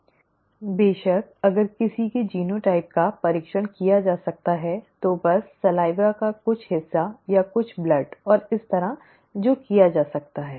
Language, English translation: Hindi, Of course if it is if somebodyÕs genotype can be tested, just by taking some part of the saliva or some blood and so on and so forth, that can be done